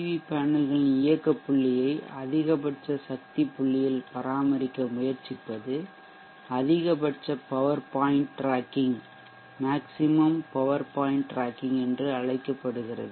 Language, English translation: Tamil, The process of doing this always trying to maintain the operating point of the PV panels at maximum power point is called the maximum power point tracking